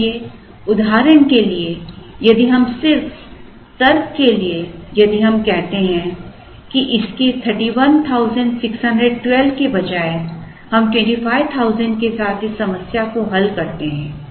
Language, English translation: Hindi, So, for example if we just, for the sake of argument or for the sake of completion if we say that instead of 31,612 we solve this problem with 25,000